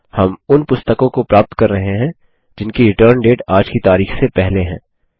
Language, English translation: Hindi, We are retrieving books for which the Return Date is past todays date